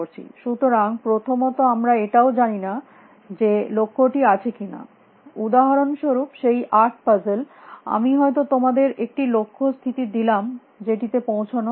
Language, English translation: Bengali, So, first of all we do not even know whether a goal exists for example, in that eight puzzle I may give you the goal state as one which is not reachable